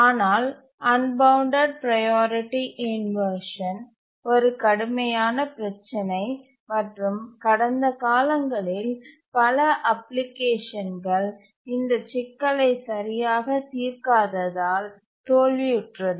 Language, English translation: Tamil, But unbounded priority inversion is a very, very severe problem and many applications in the past have failed for not properly addressing the unbounded priority inversion problem